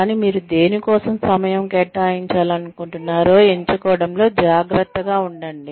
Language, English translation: Telugu, But, be careful in selecting, which ones, you want to spend time on